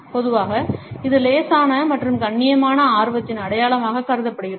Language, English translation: Tamil, Normally, it is considered to be a sign of mild and polite interest